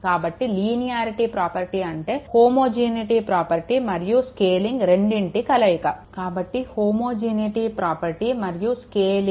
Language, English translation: Telugu, So, the linearity property the combination of both the homogeneity property that is your scaling, the homogeneity property that is the scaling and the additivity property right